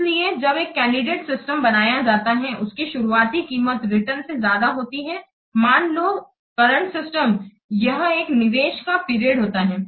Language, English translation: Hindi, So when a candidate system is developed, the initial cost or normally usually exceed those of the return current system, this is an investment period, obvious